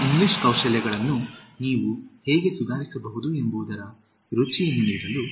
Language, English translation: Kannada, Okay, just to give you a taste of how you can improve your English Skills